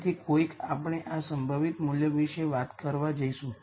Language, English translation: Gujarati, So, somehow we are going to talk about this most likely value